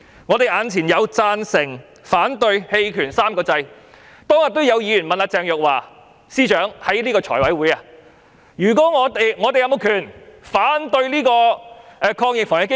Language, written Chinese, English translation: Cantonese, 我們眼前有"贊成"、"反對"、"棄權 "3 個按鈕，當天也有議員在財委會問鄭若驊司長，議員有沒有權利反對防疫抗疫基金？, We have three buttons before us; the Yes button the No button and the Abstain button . On the day when the meeting of the Finance Committee was held a Member asked Secretary for Justice Teresa CHENG whether Members had the right to vote against AEF